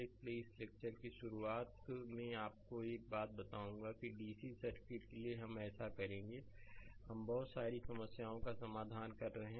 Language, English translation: Hindi, So, just beginning of this lecture let me tell you one thing, that for DC circuit we will so, we are solving so many problems